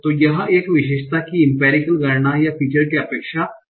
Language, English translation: Hindi, So what is the empirical count of our expectation of a feature